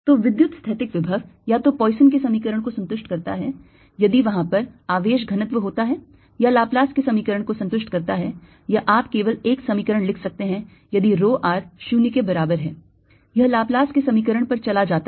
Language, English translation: Hindi, so the electrostatic potential either satisfies the poisson's equation if there is charge density, or laplace's equation, or you can just write one equation: if rho r equals zero, it goes over to the laplace's equation and then solve with the appropriate boundary conditions and you get your answer